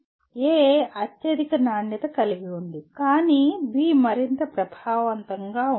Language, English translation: Telugu, A has the highest quality but B is more effective